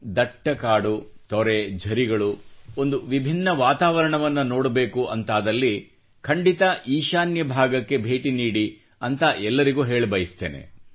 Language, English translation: Kannada, Dense forests, waterfalls, If you want to see a unique type of environment, then I tell everyone to go to the North East